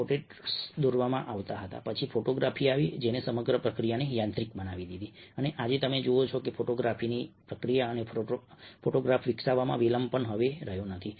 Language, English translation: Gujarati, portraits used to be painted, then photography, which mechanize the entire process, and today, you see that, ah, even today, process of photography and the delay in developing a photography is no longer there